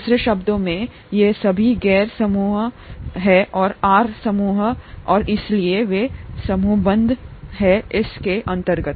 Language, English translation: Hindi, In other words, all these are nonpolar groups, the R groups and therefore they are grouped under this